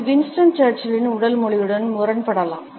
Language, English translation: Tamil, It can be contrasted with a body language of Winston Churchill